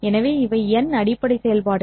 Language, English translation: Tamil, So these are the basis functions